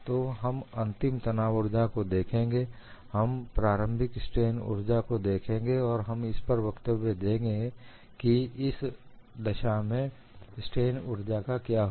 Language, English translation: Hindi, So, we will look at what is the final strain energy, we look at the initial strain energy, and comment what happens to the strain energy in this case